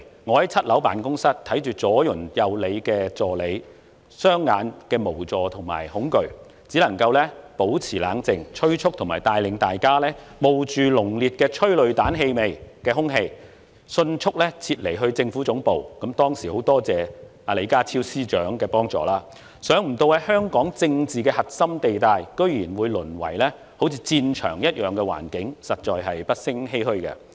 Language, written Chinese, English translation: Cantonese, 我在7樓辦公室看着兩旁助理雙眼的無助及恐懼，只能保持冷靜，催促和帶領大家冒着帶有濃烈催淚彈氣味的空氣，迅速撤離至政府總部——很多謝當時李家超局長的幫助——想不到香港的政治核心地帶，居然會淪為好像戰場一樣的環境，實在不勝欷歔。, Sitting in my office on the seventh floor and looking at the helpless and fearful eyes of my assistants on both sides what I could do was to keep calm and urged them to follow me to leave the office for the Central Government Offices amid the strong smell of tear gas―I thank Mr John LEE the then Secretary for his help at that time―never have I imagined that the core political area in Hong Kong would be turned into a battlefield - like place